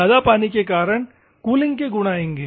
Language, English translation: Hindi, Here, it will have better cooling properties